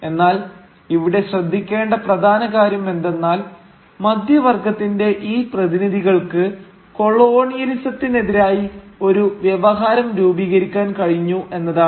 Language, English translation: Malayalam, But what is important to note here is that these representatives of the middle class were able to forge a counter discourse to colonialism, which claimed to be the discourse of the nation